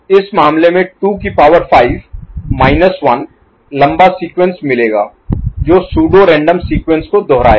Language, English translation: Hindi, In this case, 2 to the power 5 minus 1 long sequence, which will repeat pseudo random sequence